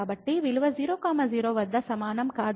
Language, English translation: Telugu, So, the value was not equal at 0 0